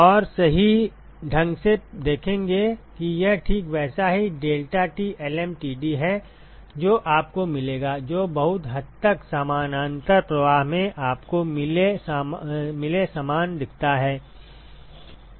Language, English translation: Hindi, And correctly you will see that this is exactly the deltaT lmtd that you will get, which looks very similar to what you got in parallel flow